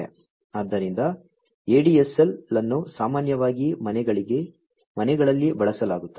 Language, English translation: Kannada, So, ADSL, ADSL is more commonly used in the households